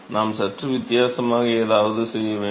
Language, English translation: Tamil, So, we will have to do something slightly different